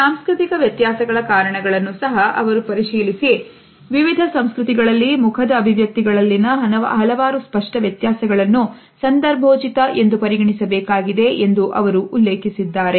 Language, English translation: Kannada, He also looked into the reasons of cultural variations and mentioned that several apparent differences in facial expressions among different cultures have to be considered as contextual